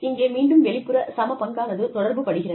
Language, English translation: Tamil, Again, we are talking about external equity